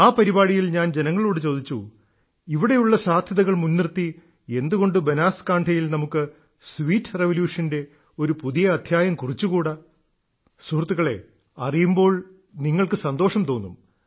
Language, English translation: Malayalam, In that programme, I had told the people that there were so many possibilities here… why not Banaskantha and the farmers here write a new chapter of the sweet revolution